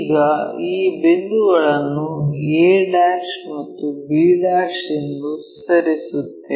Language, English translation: Kannada, Now, name these points as a' and this point b'